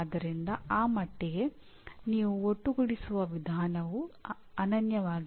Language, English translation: Kannada, So to that extent the way you aggregate is not necessarily unique